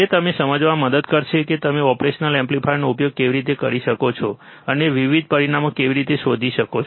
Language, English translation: Gujarati, That will help you understand how you can use the operational amplifier and how you can find different parameters